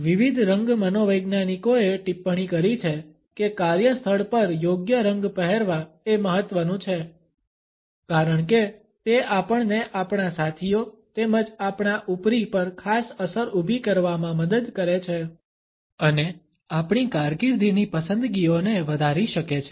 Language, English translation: Gujarati, Different color psychologists have commented that wearing the right shades at workplace is important because it helps us in creating a particular impact on our colleagues as well as on our bosses and can enhance our career choices